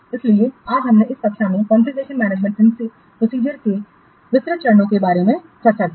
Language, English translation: Hindi, So today we have discussed in this class the detailed steps for configuration management process